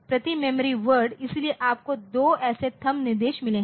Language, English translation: Hindi, So, per memory word, so, you have got two such THUMB instructions